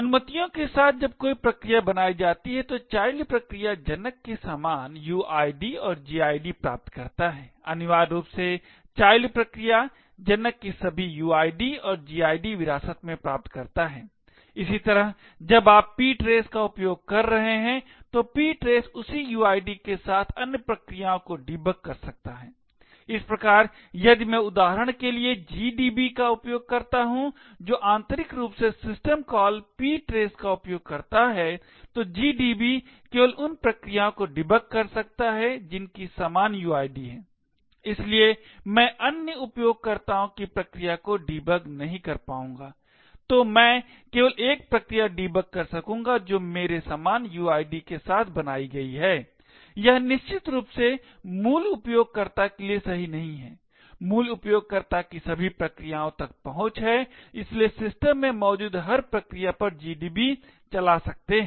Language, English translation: Hindi, With respect to the permissions when a process gets created the child process gets the same uid and gid as the parent, essentially the child process inherits all the parents uid and gid as well, similarly when you are using ptrace, ptrace can debug other processes with the same uid, thus if I use GDB for example which internally uses the system call ptrace, GDB can only debug processes which have the same uid, therefore I will not be able to debug other users process, so I will only be able to debug a process which is created with my same uid, this of course does not hold true for root, the root has access to all processes and therefore can run GDB on every process present in the system